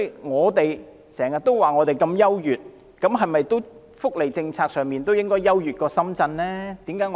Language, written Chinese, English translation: Cantonese, 我們經常說我們如何優越，那麼在福利政策上，是否也應該要較深圳優越呢？, We often talk about how outstanding we are . On the welfare policy should we not outperform Shenzhen?